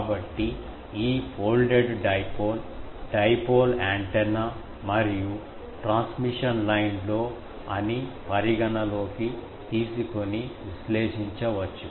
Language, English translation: Telugu, So, this folded dipole can be analyzed by considering that it is some of in dipole antenna and a transmission line